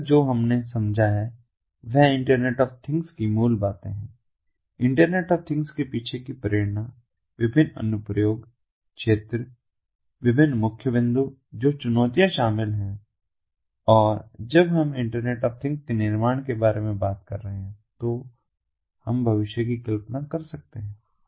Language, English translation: Hindi, and so far what we have understood are the basics of internet of things, the motivation behind internet of things, the different application areas, the different main points, the challenges that are involved and what we are envisioning when we are talking about building internet of things in the future